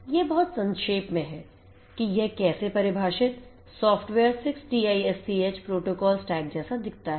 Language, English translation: Hindi, This is at very nutshell this is how this software defined 6TiSCH protocol stack looks like